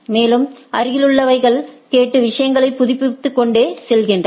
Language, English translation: Tamil, And, the neighbors listens and go on updating the things